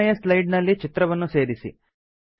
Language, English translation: Kannada, Insert a picture on the 3rd slide